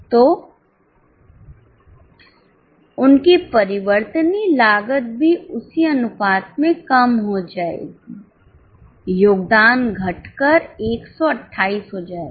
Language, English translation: Hindi, So their variable cost will also reduce in the same proportion